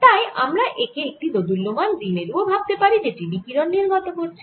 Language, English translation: Bengali, so i can even think of this as an oscillating dipole which is giving out radiation